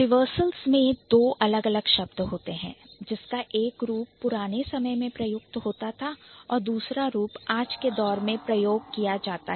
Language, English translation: Hindi, So, reversals means there are two different, like there are two different words which were used in one way, like in one form in the earlier days and another form in the in the recent days